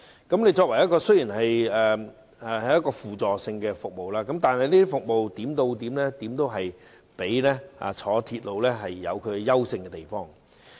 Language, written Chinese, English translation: Cantonese, 巴士雖然作為輔助性服務，但其服務點到點，總比鐵路有優勝的地方。, Though ancillary buses offer point - to - point service outdoing rail in some ways